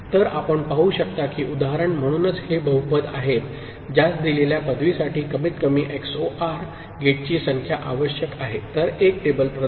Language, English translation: Marathi, So, the example that you can see; so these are the polynomials that requires minimal number of minimal number of XOR gates for a given degree; so, provided a table